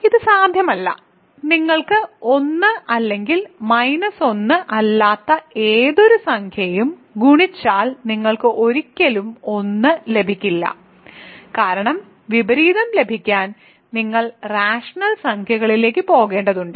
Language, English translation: Malayalam, So, this is not possible, you multiply any integer n which is not 1 or minus 1 with any other integer you will never get 1, because the inverse really you need to go to rational numbers to get the inverse you have to take 1 by n